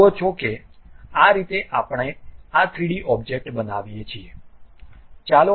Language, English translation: Gujarati, You see this is the way we construct this 3D object